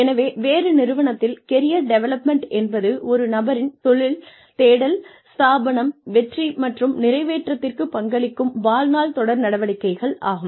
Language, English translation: Tamil, So, in a different organization, career development is the lifelong series of activities, that contribute to a person's career exploration, establishment, success and fulfilment